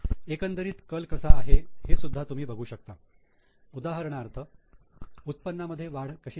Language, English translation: Marathi, You can also have a look at the trends, how there is an increase in income